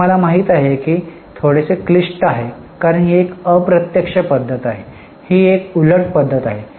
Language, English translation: Marathi, I know it's bit complicated because this is an indirect method